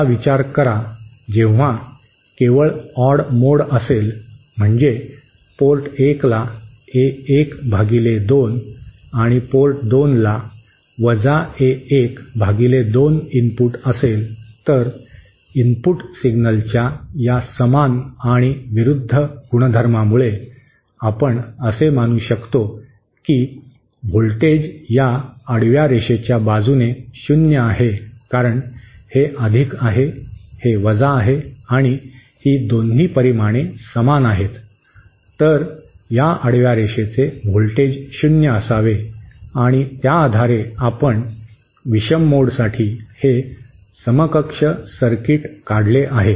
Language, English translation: Marathi, Now consider when only the odd mode is present, that is port 1 is fed by A1 upon 2 and port 2 is fed by A1 upon 2, then because of this equal and opposite nature of the input signals, we can assume that the voltage along this horizontal line is 0 because this is +, this is this is + and both are equal in magnitude, then the voltage along this horizontal line should be 0 and based on this we have drawn this equivalent circuit for the odd mode